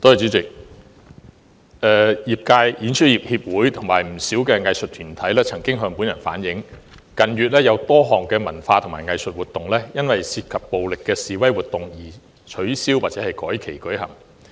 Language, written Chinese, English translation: Cantonese, 主席，演出業協會及不少藝術團體向本人反映，近月有多項文化及藝術活動因涉及暴力的示威活動而取消或改期舉行。, President the Performing Industry Association and quite a number of arts groups have relayed to me that in recent months a number of cultural and arts activities have been cancelled or rescheduled due to demonstrations involving violence